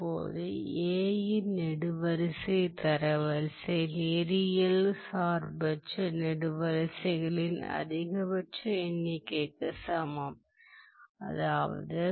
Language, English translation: Tamil, Now, similarly the row rank of A equals the maximum number of linearly independent rows of A